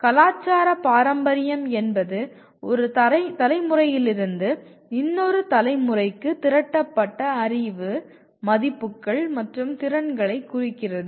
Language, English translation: Tamil, “Cultural heritage” refers to its accumulated knowledge, values and skills from one generation to the other